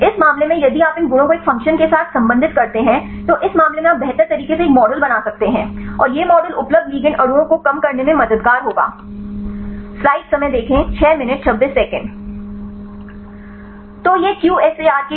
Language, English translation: Hindi, In this case if you relate these properties with a function right in this case you can better make a develop a model, and this model will be helpful to narrow down the available ligand molecules